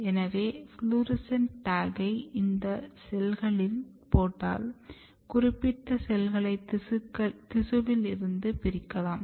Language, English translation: Tamil, So, if you put some florescent tag in these cells, then specifically you can isolate the cells from these tissues